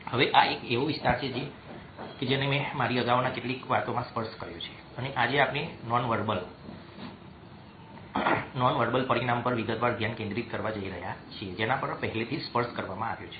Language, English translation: Gujarati, now, this is an area which i have touched upon in some of my earlier talks and today we are going to focus in detailed way on the dimension, which has already been touched upon